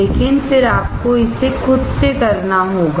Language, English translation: Hindi, But then you have to do it by yourself